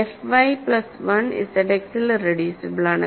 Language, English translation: Malayalam, So, f of X plus 1 is irreducible